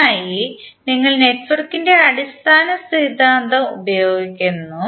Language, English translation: Malayalam, For that we use the fundamental theorem of network